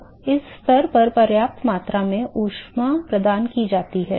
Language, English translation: Hindi, Now, at this stage there is sufficient amount of heat that is been provided